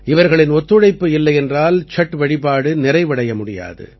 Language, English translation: Tamil, Without their cooperation, the worship of Chhath, simply cannot be completed